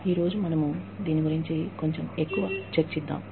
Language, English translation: Telugu, Today, we will discuss, a little bit more about this